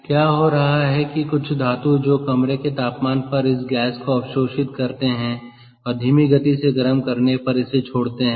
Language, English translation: Hindi, is this a some metals, ah, which sort of absorbed this gas at room temperature and release it on slow heating